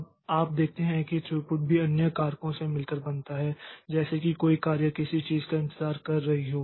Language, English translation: Hindi, Now you see that throughput is also consisting of other factors like if a job is waiting for something